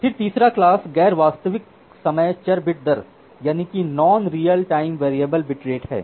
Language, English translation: Hindi, Then the third class is non real time variable bit rate